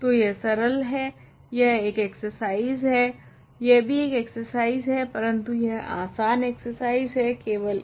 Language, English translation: Hindi, So, this is easy, this an exercise this also an exercise, but it is an easy exercise this is slightly more work